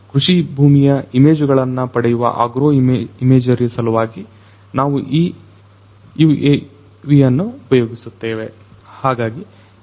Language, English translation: Kannada, This UAV we use for agro imagery taking images of agricultural field